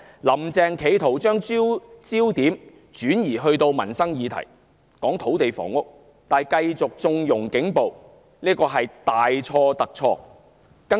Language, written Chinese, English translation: Cantonese, "林鄭"將焦點集中到土地房屋問題上，企圖以民生議題轉移視線，但卻繼續縱容警暴，這是大錯特錯的。, In an attempt to use livelihood issues as a diversion Carrie LAM shifted the focus towards land and housing issues while continuing to condone police brutality which was a grave mistake